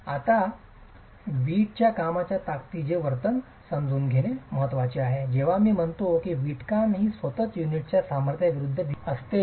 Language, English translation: Marathi, Now it's important to understand the behavior of the strength of the brickwork, when I say brickwork is the assembly versus the strength of the unit itself